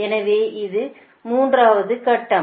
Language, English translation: Tamil, so this is the third step